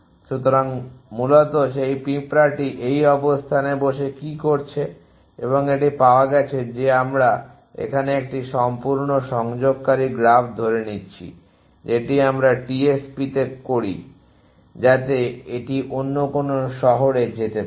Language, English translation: Bengali, So, essentially what this ants it doing is sitting at this location i and it is got is we a assuming a completely connecting graph here the it as we do in the TSP so it can move to any other city